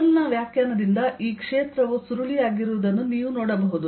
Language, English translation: Kannada, by definition of curl, you can see this field is curling around